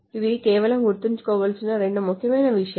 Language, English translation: Telugu, So these are just two of the two important things to remember